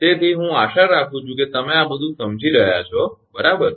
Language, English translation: Gujarati, ok, so i hope you are understanding all these right